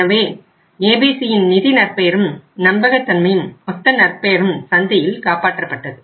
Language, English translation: Tamil, So that saved the ABC’s financial reputation, credibility and overall goodwill in the market